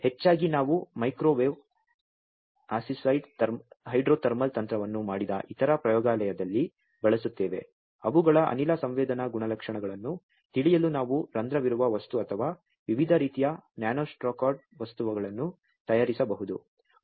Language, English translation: Kannada, And mostly we use it in the other lab we have done microwave assisted hydrothermal technique were we can make porous material or different types of nanostructured material to know their gas sensing properties